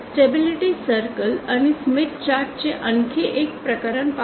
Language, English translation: Marathi, Let us see another case of stable of the stability circle and the smith chart